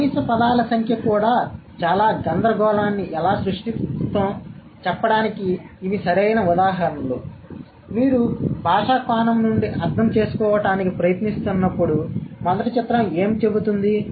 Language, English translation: Telugu, So, these are the perfect examples of how the minimum number of words can also create a lot of confusion, especially when you are trying to understand it from the linguistic perspective